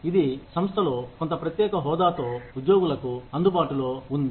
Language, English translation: Telugu, That are available to employees, with some special status, in the organization